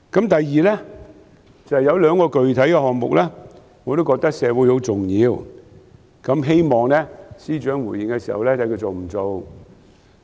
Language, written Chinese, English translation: Cantonese, 第二，有兩個具體項目，我覺得對社會很重要，希望司長回應時說明他會否推行。, Secondly there are two specific programmes which I think are very important to the community and I wish that the Financial Secretary can in response tell us whether they will be launched